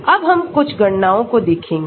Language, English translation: Hindi, Now, we can look at some calculations